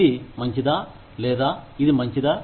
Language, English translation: Telugu, Is this good, or is this better